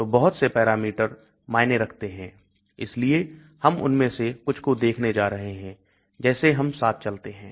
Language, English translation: Hindi, So many parameters matter so we are going to look at some of them as we go along